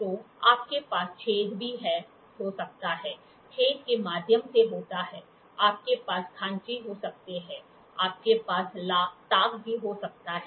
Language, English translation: Hindi, So, you can also have holes, hole is through to through, you can have grooves you can also have recess